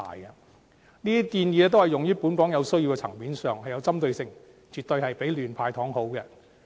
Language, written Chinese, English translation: Cantonese, 這些建議均用於本港有需要的層面上，有針對性，絕對比亂"派糖"好。, These initiatives will be applied to areas in need in Hong Kong and is better than giving out sweeteners blindly as they are target - oriented